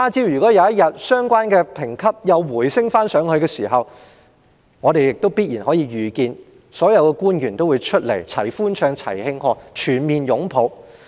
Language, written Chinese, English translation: Cantonese, 如果有一天相關的評級再次回升，我們可以預見所有官員必然會站在一起齊歡唱、齊慶賀，全面擁抱。, Should the relevant credit ratings be upgraded again one day we can foresee that all government officials will stand together to sing celebrate and embrace one another